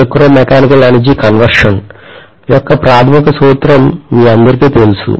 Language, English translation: Telugu, All of you know the basic principle of electromechanical energy conversion